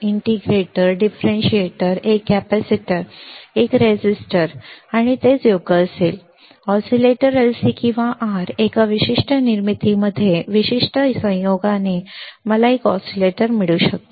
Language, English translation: Marathi, Integrator, differentiator, one capacitor, one resistor and that will that will be it right; oscillators LC or R in a particular formation particular combination I can get oscillators